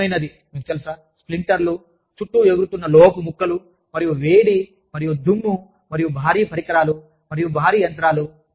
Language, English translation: Telugu, There is no way, that you can avoid, sharp, you know, the splinters of, shards of metal flying around, and heat, and dust, and heavy equipment, and heavy machinery